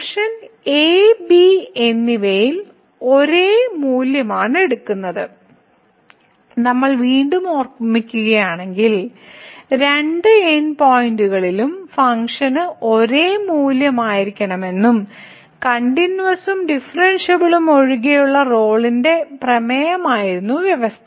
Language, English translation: Malayalam, So, the function is taking same value at and and if we recall again the condition was for Rolle’s theorem other than the continuity and differentiability that the function should be having the same value at the two end points